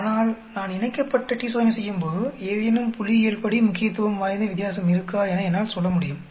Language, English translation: Tamil, Whereas when I perform paired t Test, I am able to say there is statistically significant difference